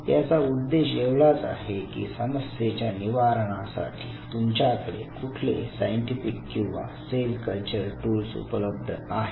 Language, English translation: Marathi, So, this whole purpose of this exercise is you know what all scientific or cell culture tools you are having at your disposal in order to crack a problem right